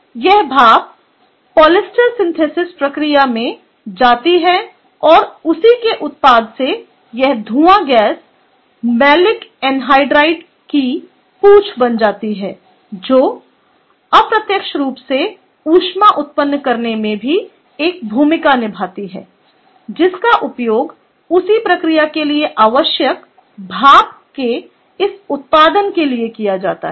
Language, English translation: Hindi, so this steam goes to the polyester pro synthesis process and a by product of that is this tail of fume gas, the malic anhydride, which indirectly also plays a role in generating the heat which is used for this production of steam required for the same process, right